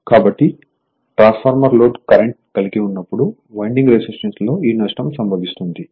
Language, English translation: Telugu, So, this loss occurs in winding resistances when the transformer carries the load current